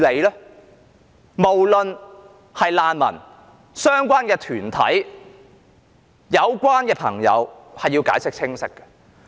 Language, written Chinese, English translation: Cantonese, 對於難民或相關團體，有關當局均應解釋清楚。, The Administration should give a clear account to the refugees and concern groups